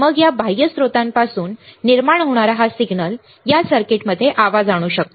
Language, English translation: Marathi, Then this signal that is generated from this external source may introduce a noise in this circuit